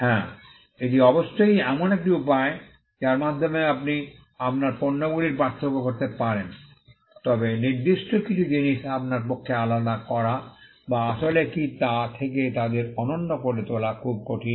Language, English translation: Bengali, Yes, that is certainly a way in which you can distinguish your goods, but certain goods it is very hard for you to distinguish or to make them unique from what they actually are